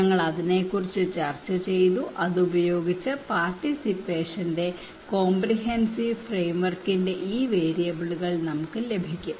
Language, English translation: Malayalam, We discussed about that, and with that one we can get these variables of a comprehensive framework of participations